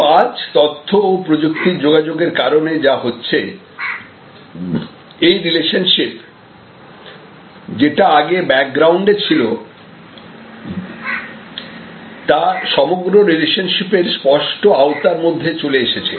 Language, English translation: Bengali, But, what is happening today due to information and communication technology, this relationship which was earlier in the back ground is now part of the, it is now part of the overall very explicit range of relationships